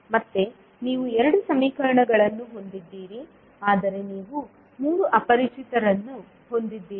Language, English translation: Kannada, So here again, you have 2 equations, but you have 3 unknowns